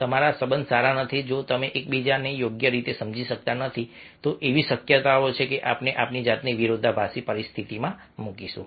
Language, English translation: Gujarati, if you are not having good relationship, if you don't understand each other properly, then there is a chance that we will be putting our self in conflict